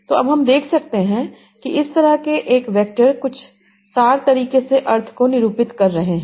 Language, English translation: Hindi, So now we can see that such a vector is representing the meaning in some abstract manner